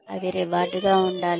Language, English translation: Telugu, They should be rewarding